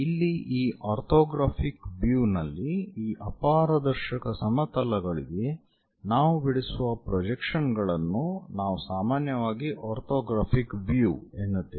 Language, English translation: Kannada, So, this projections what we are calling on to the planes onto these opaque planes, what we call generally orthographic views